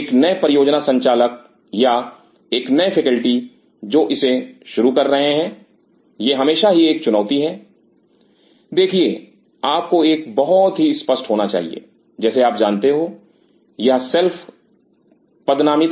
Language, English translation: Hindi, For a new pi or a new faculty who is starting it is always a challenge, see you should have a very clear like you know these shelves are designated